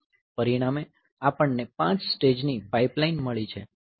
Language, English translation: Gujarati, So, 5 stage pipeline